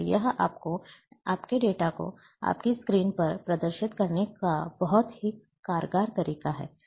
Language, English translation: Hindi, So, it is very efficient way of a displaying your data, on your screen